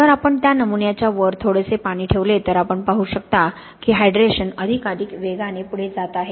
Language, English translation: Marathi, Whereas if we put a small amount of water on top of that sample then you can see the hydration is going forward more, more strongly